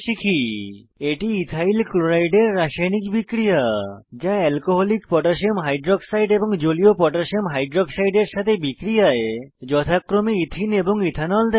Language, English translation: Bengali, This is a chemical reaction of Ethyl chloride with Alcoholic Potassium hydroxide and Aqueous Potassium hydroxide to yield Ethene and Ethanol respectively